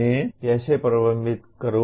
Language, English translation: Hindi, How do I manage